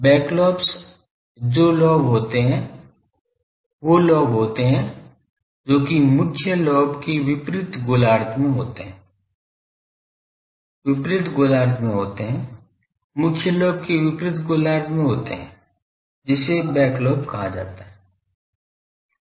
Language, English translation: Hindi, Back lobes are lobes which are in the opposite hemisphere to the main lobe , opposite hemisphere occupying the, opposite hemisphere of the main lobe that is called back lobe ok